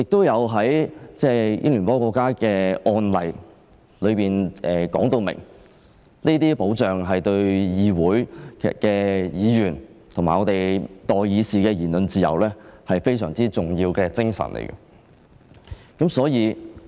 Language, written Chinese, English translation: Cantonese, 英聯邦國家的案例說明，這些保障對議會的議員及代議士的言論自由非常重要。, The precedents of the Commonwealth countries show that the protection is very important to ensure the freedom of speech of members of the parliaments and the representatives of public opinion